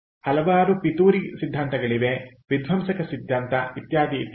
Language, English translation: Kannada, so there were, there are several conspiracy theories, sabotage theory, etcetera, etcetera